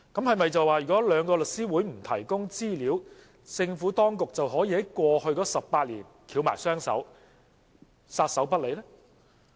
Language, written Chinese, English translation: Cantonese, 是否因為兩個律師會不提供資料，政府當局便可以在過去18年撒手不理呢？, Is it because information is not available from the two legal professional bodies then the Administration can wash its hands off the matter over the past 18 years?